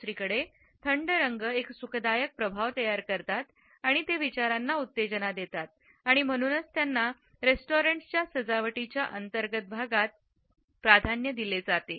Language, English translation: Marathi, On the other hand, cool colors produce an effect which is soothing and they stimulate thinking and therefore, they are preferred in the interior decoration of restaurants